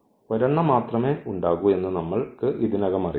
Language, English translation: Malayalam, So, we know already that there would be only one